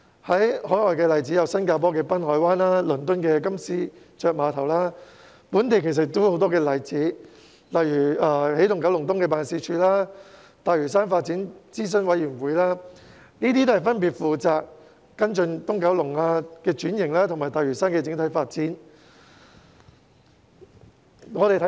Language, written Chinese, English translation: Cantonese, 海外例子有新加坡的濱海灣及倫敦的金絲雀碼頭，本地亦有很多例子，例如起動九龍東辦事處和大嶼山發展諮詢委員會分別負責跟進東九龍的轉型和大嶼山的整體發展。, Marina Bay in Singapore and Canary Wharf in London are some of the overseas examples . Here in Hong Kong we have also set up the Energizing Kowloon East Office and the Lantau Development Advisory Committee to follow up on the transformation of Kowloon East and the overall development of Lantau respectively